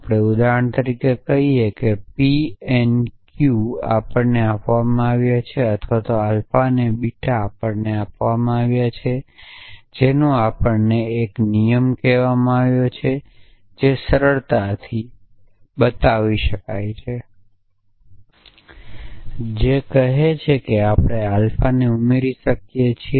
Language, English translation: Gujarati, So, we say for example, is p n q is given to us or alpha and beta given to us we had a rule calls simplification which says we can add alpha itself essentially